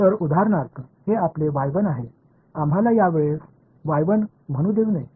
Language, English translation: Marathi, So, for example, this is your y 1 no let us not call it y 1 this time